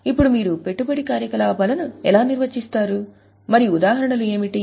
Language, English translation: Telugu, Now how will you define investing activities and what are the examples